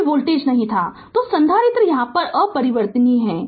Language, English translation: Hindi, There was no there was no voltage then write capacitor was uncharged